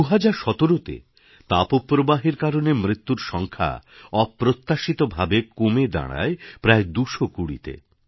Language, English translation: Bengali, In 2017, the death toll on account of heat wave remarkably came down to around 220 or so